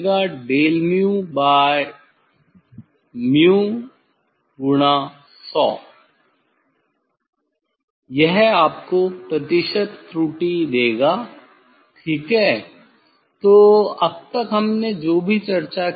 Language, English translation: Hindi, put here you find out del mu by mu into 100 that will give you percentage error, ok so for whatever we have discussed